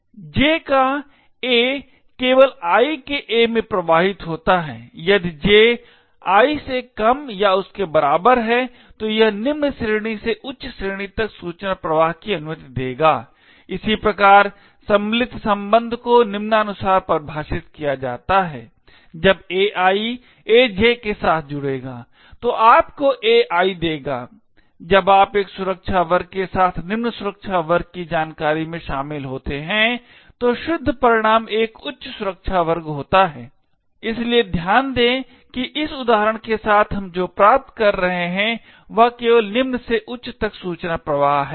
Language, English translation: Hindi, A of J flows to A of I only if J is less than or equal to I this would permit information flow from a lower class to a higher class, similarly the join relationship is defined as follows, AI joins with AJ would give you AI that is when you join information from a lower security class with a higher security class the net result is an object the higher security class, so note that with this example what we are achieving is information flow from low to high only